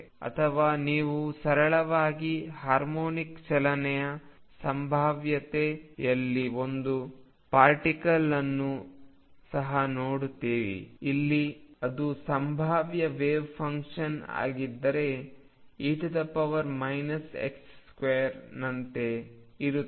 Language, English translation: Kannada, Or you also see a particle in a simple harmonic motion potential, where if this is the potential wave function is like e raise to minus x square